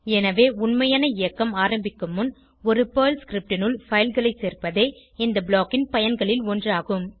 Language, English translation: Tamil, So one of the use of this block is to include files inside a Perl script, before actual execution starts